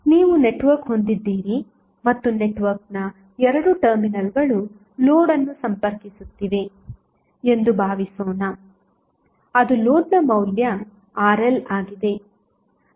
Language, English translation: Kannada, Suppose, you have a network and the 2 terminals of the network are having the load connected that is the value of load is Rl